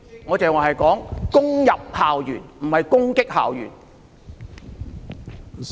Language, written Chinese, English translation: Cantonese, 我剛才說攻入校園，而不是說攻擊校園。, What I said just now was raided the campus but not attacked the campus